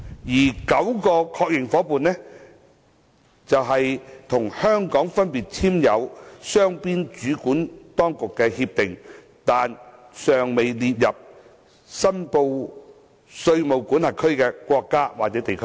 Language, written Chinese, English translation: Cantonese, 該9個確認夥伴則是與香港分別簽訂雙邊主管當局協定，但尚待列入申報稅務管轄區名單的國家或地區。, As for the nine confirmed AEOI partners they are countries or regions each of which Hong Kong has signed a bilateral Competent Authority Agreement but which have yet to be included in the list of reportable jurisdictions